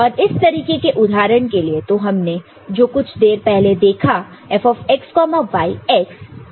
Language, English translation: Hindi, And for an example like this the one we had seen before F(x,y) is x plus x prime y